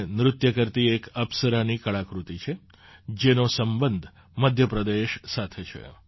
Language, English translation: Gujarati, This is an artwork of an 'Apsara' dancing, which belongs to Madhya Pradesh